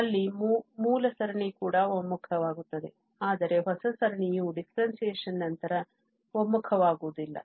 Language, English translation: Kannada, There even the original series converges but the new series may not converge after differentiation